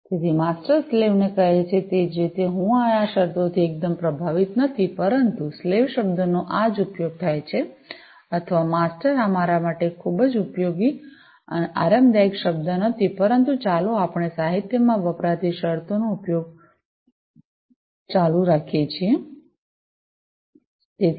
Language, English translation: Gujarati, So, in the same way as the master asks the slaves to, you know, I am not quite impressed with these terms, but this is what is used you know the term slave or, the master this is not a very you know comfortable term for use for me, but let us continue, to use the terms that are used in the literature